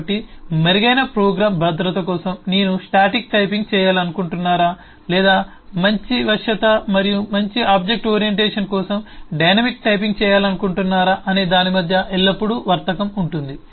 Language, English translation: Telugu, so there is always a trade of between whether I want to do static typing for better program safety, or I want to do dynamic typing better flexibility and more object orientation